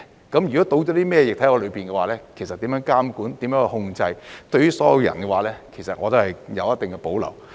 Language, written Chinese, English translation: Cantonese, 加入了甚麼液體，怎樣去監管、控制，對於所有人，其實我都有一定的保留。, As regards what liquid is filled how monitoring and control will be taken place and all people involved I have some reservations